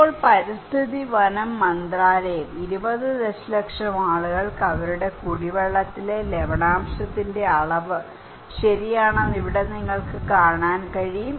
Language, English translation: Malayalam, Now, here you can see that a Ministry of Environment and Forests, 20 million people affected by varying degree of salinity in their drinking water okay